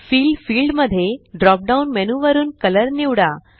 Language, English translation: Marathi, In the Fill field, from the drop down menu, choose Color